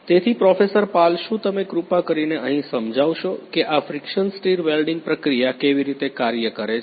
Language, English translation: Gujarati, So, Professor Pal would you please explain over here how this friction stir welding process works